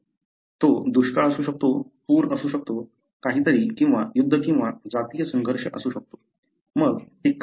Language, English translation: Marathi, It could be drought, it could be flooding, it could be something or a war or ethnic clash, whatever it is